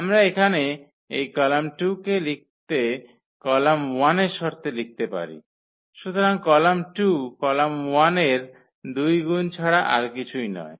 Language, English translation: Bengali, We can write down this column 2 here in terms of column 1, so column 2 is nothing but the two times the column 1